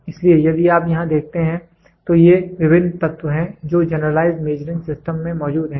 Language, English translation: Hindi, So, if you see here these are the different elements which are present in Generalized Measuring System